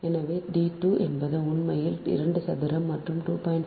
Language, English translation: Tamil, so d two is nine point one, seven meter